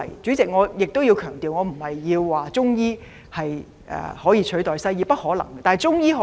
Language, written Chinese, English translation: Cantonese, 主席，我必須強調，我的意思不是說中醫可取代西醫，這絕不可能。, President I am not saying that we can replace Western medicine with Chinese medicine which is totally impossible